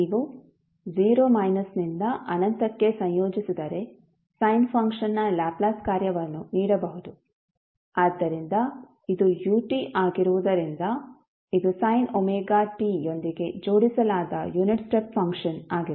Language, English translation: Kannada, The Laplace function of the sin function can be given as, if you integrate between 0 minus to infinity, so since it is a ut that is a unit step function attached with sin omega t